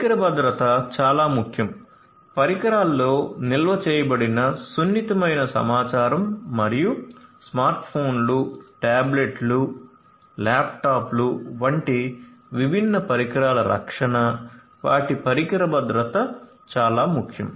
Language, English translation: Telugu, Device security is very very important, protection of the sensitive information that are stored in the devices and the different devices such as smartphones, tablets, laptops, etcetera, the their security the device security is very important